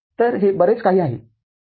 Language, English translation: Marathi, So, this is much more right